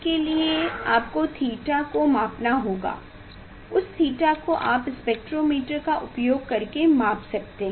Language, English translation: Hindi, that theta you can measure using the spectrometer